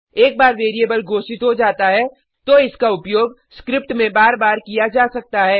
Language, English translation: Hindi, Once a variable is declared, it can be used over and over again in the script